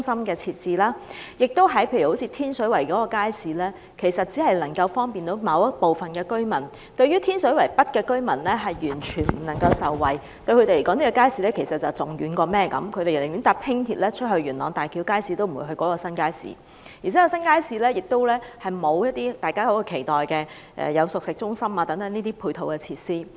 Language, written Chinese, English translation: Cantonese, 又例如天水圍街市，它其實只能夠方便某部分居民，天水圍北的居民完全未能受惠，因為對他們來說，這個街市太遠，他們寧願乘搭輕鐵前往元朗的大橋街市，也不會前往這個新街市；而且，這個新街市亦沒有大家期待的熟食中心等配套設施。, Those who live in Tin Shui Wai North are unable to benefit from this market because it is too far away for them . They would rather take the Light Rail Transit to Tai Kiu Market in Yuen Long than going to this new market . What is worse ancillary facilities like the much - anticipated cooked food centre is nowhere to be found in this new market